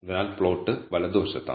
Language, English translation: Malayalam, So, the plot is on right hand side